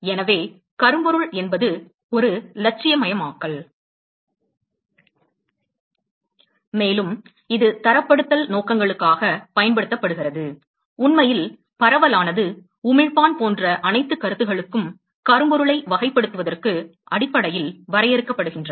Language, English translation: Tamil, So, blackbody is an idealization, and it is used for standardization purposes, in fact all the concept of diffuse, emitter etcetera is essentially defined for characterizing blackbody